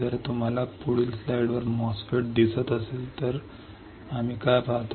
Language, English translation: Marathi, If you see on the next slide the MOSFET, what do we see